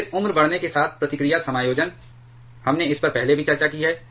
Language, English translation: Hindi, Then reactivity adjustment with aging; we have discussed this one also earlier